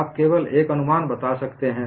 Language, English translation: Hindi, You can only make guess work